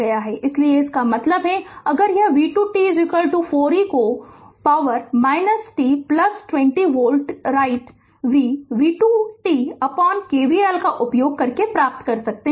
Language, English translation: Hindi, So; that means, if we do it v 2 t is equal to 4 e to the power minus t plus 20 volt right we also can obtain v 2 t by using KVL